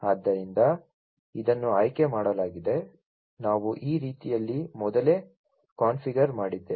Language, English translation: Kannada, So, this was selected, right, so this we have pre configured this way